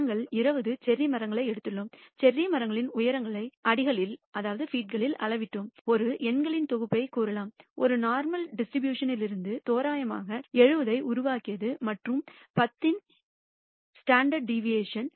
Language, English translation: Tamil, Let us take one example we have taken 20 cherry trees and we have measured the heights of the cherry trees in terms in feet and we got let us say the set of bunch of numbers; generated these randomly from a normal distribution with some mean which is 70 and the standard deviation of 10